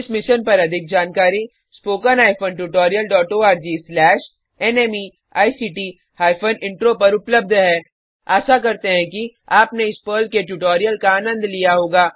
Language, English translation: Hindi, More information on this Mission is available at spoken hyphen tutorial dot org slash NMEICT hyphen Intro Hope you enjoyed this Perl tutorial